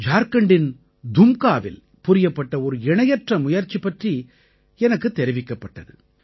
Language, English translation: Tamil, I was informed of a similar novel initiative being carried out in Dumka, Jharkhand